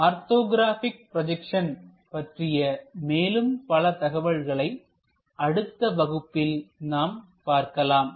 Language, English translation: Tamil, Many more details about this orthographic projections we will see it in the next class